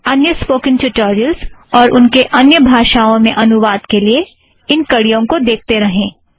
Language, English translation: Hindi, Keep watching these links for more spoken tutorials and their translation in other languages